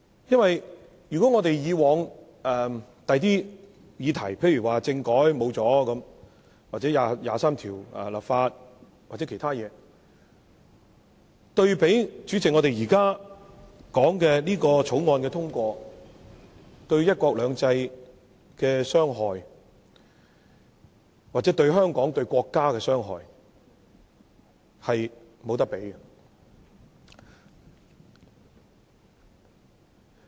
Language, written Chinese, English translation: Cantonese, 因為以往的其他議題，例如政改拉倒了或就《基本法》第二十三條立法等，對比我們現時討論的《廣深港高鐵條例草案》的通過，對"一國兩制"、香港或國家的傷害，是無法比擬的。, Because the damage to one country two systems Hong Kong or the country caused by other cases in the past such as the falling through of the constitutional reform or the legislation on Article 23 of the Basic Law cannot be compared with the damage caused by the passage of the Guangzhou - Shenzhen - Hong Kong Express Rail Link Co - location Bill the Bill now under our discussion